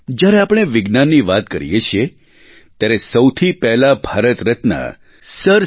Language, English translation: Gujarati, When we talk about Science, the first name that strikes us is that of Bharat Ratna Sir C